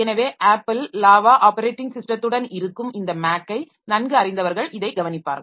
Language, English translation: Tamil, So, people familiar with this Mac, the Apple operating system, so they will be looking into this